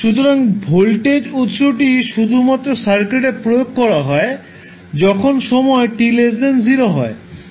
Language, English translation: Bengali, So the voltage source is applied to the circuit only when t less than 0